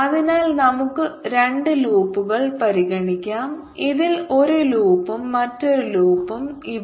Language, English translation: Malayalam, so let's consider two loop, one loop in this and another loop here